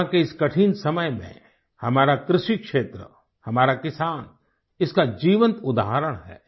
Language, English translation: Hindi, In this difficult period of Corona, our agricultural sector, our farmers are a living testimony to this